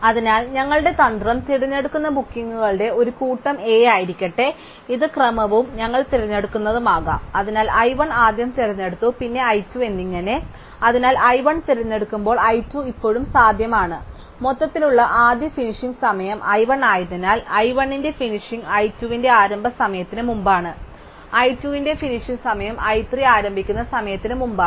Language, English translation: Malayalam, So, let A be the set of bookings that our strategy chooses and this could be the order and which we chooses, so i 1 is chosen first and then i 2 and so on, so when i 1 is chosen and i 2 is still feasible and since i 1 was the earliest finishing time overall, we have that the finishing of i 1 is before the starting time of i 2, the finishing time of i 2 is before the starting time of i 3 and so on